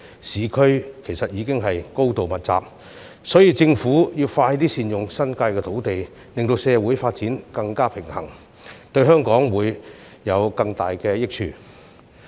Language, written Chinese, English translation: Cantonese, 市區樓宇已高度密集，所以政府應加快善用新界土地，令社會發展更加平衡，這樣才會對香港帶來更大益處。, As urban areas are already densely populated it should expeditiously make good use of land in the New Territories so as to facilitate more balanced social development which will in turn bring greater benefits to Hong Kong